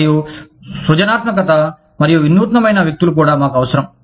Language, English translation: Telugu, And, we also need people, who are creative and innovative